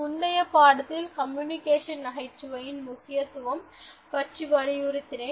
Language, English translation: Tamil, In the previous lesson, I emphasized on the importance of humour in communication